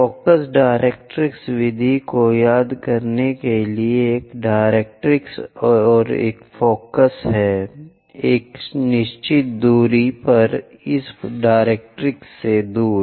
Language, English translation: Hindi, Just to recall in focus directrix method, there is a directrix and focus is away from this directrix at certain distance